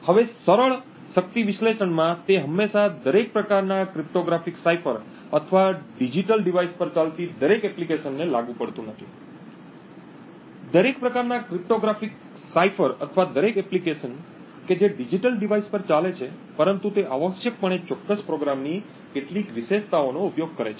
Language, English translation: Gujarati, Now in the simple power analysis it may not be always applicable to every type of cryptographic cipher or every application that is running on digital device, but essentially makes use of certain attributes of the particular program